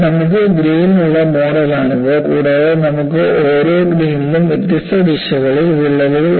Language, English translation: Malayalam, So, this is the model you have grains, and you have a cracks, oriented at different directions in each of the grains